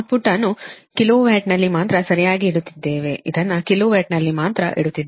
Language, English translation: Kannada, we are keeping in kilo watt only, right, we are keeping in kilo watt only